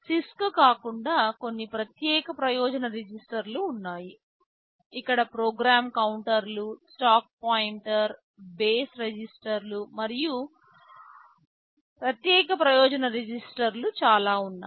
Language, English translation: Telugu, There are very few special purpose registers unlike CISC Architectures where there are lot of special purpose registers like program counters, stack pointer, base registers, and so on and so forth right